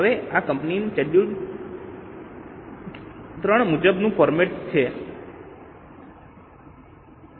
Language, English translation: Gujarati, Now this was the format as per Schedule 3 of Companies Act